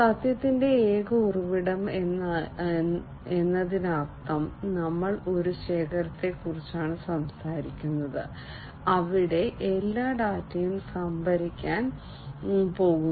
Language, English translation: Malayalam, Single source of truth means we are talking about a single repository, where all the data are going to be stored